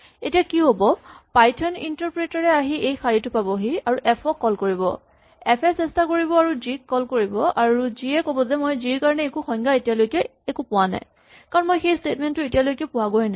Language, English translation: Assamese, Now what happens is that when the Python interpreter comes down this line at this point it will try and call f, so f will try and call g and g will say well I do not have a definition for g yet because I am not yet gone past this statement